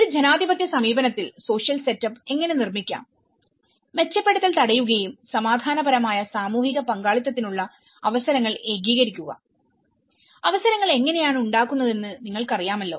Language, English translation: Malayalam, How we can build our social setup in a democratic approach, prevent improvisation and consolidate opportunities for peaceful social participation you know how we can create opportunities